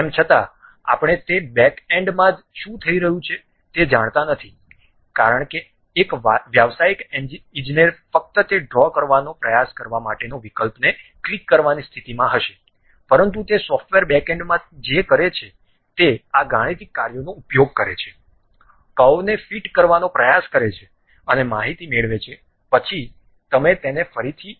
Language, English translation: Gujarati, Though, we do not know what is happening at that backend, because a professional engineer will be in a position to only click the options try to draw that, but at back end of the software what it does is it uses this mathematical functions try to fit the curve and get the information, then that you will again get it in terms of GUI